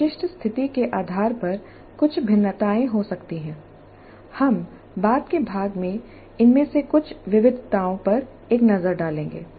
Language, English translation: Hindi, Depending upon specific situation there could be certain variations we will have a look at some of these variations later part in the later part